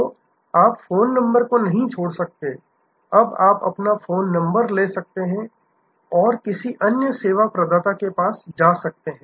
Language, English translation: Hindi, So, you could not abandon the phone number, now you can take your phone number and go to another service provider